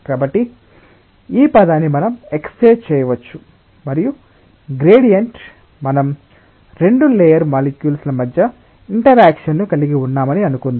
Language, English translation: Telugu, So, this delta u we may express in terms of a gradient let us think that we are having interactions between two layer of molecules